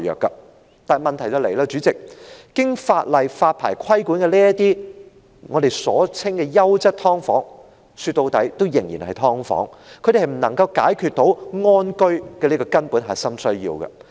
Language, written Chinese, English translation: Cantonese, 雖然如此，代理主席，這裏的問題是，經法例發牌規管的所謂"優質劏房"，說到底仍然是"劏房"，它們無法解決"安居"這個根本核心需要。, Having said that Deputy President the problem is that the so - called quality subdivided units licensed and regulated by law are after all still subdivided units and they can never address the fundamental or core need of living in peace